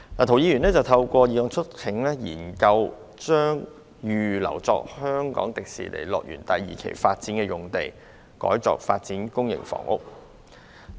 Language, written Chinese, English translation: Cantonese, 涂議員透過議案促請政府研究將預留作香港迪士尼樂園第二期發展的用地，改作發展公營房屋。, In his motion Mr TO urges the Government to conduct studies on converting the use of the site which has been reserved for the second phase development of the Hong Kong Disneyland HKDL to public housing development